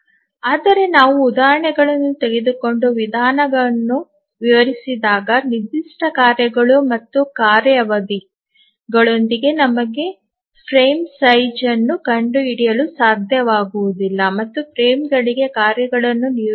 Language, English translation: Kannada, But as we take examples and explain the methodology, we will find that it may be possible that with a given set of tasks and task periods we may not be able to find a frame size and assign tasks to frames